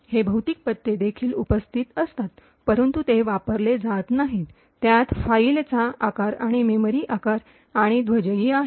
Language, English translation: Marathi, These physical addresses also present, but it is not used, it also has the file size and the memory size and the flags present